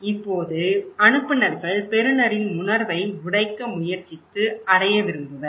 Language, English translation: Tamil, Now, the senders who try to break the perceptions of the receiver he wants to reach him